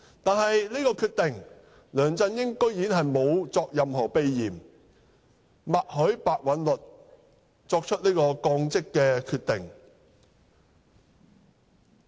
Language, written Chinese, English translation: Cantonese, 對於這個決定，梁振英居然沒有任何避嫌，默許白韞六作出該降職決定。, With regard to this decision LEUNG Chun - ying took no action to avoid a conflict of interest and gave tacit consent to Simon PEHs decision on the demotion